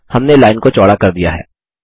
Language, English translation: Hindi, We have widened the line